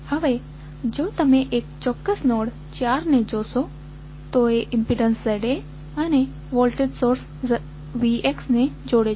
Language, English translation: Gujarati, Now, if you see for this particular node called node 4 you are joining the impedance Z A and the voltage source V X